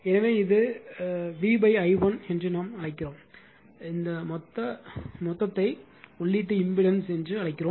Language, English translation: Tamil, So, this is actually we call V upon i 1, this total we call the input impedance